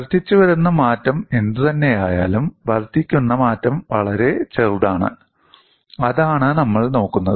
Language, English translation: Malayalam, Whatever the incremental change, the incremental change is extremely small; that is what we are looking at